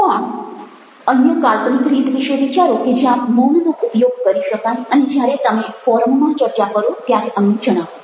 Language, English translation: Gujarati, but think of other imaginative ways that silence can be used and share it with us when you discuss over the over the forum